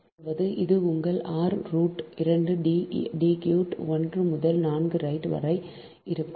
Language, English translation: Tamil, that means this will be your r dash root two d cube to the power, one by four, right